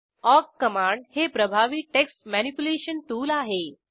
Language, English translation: Marathi, The awk command is a very powerful text manipulation tool